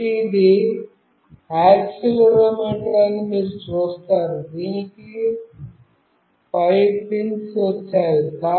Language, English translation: Telugu, So, you see this is the accelerometer, it has got 5 pins